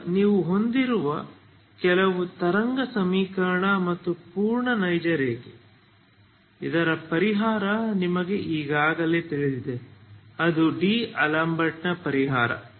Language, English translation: Kannada, Now what you have is simply wave equation and the full real line that is whose solution we already know ok that is D'Alembert solution